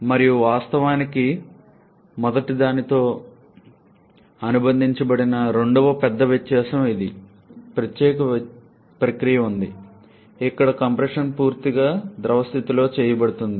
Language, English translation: Telugu, And the second big difference which actually is associated with the first one is in this particular process, here the compression part is done entirely with the liquid state